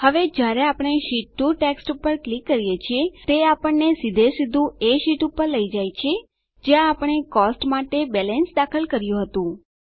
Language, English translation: Gujarati, Now, when we click on the text Sheet 2, it directly takes us to the sheet where we had entered the balance for Cost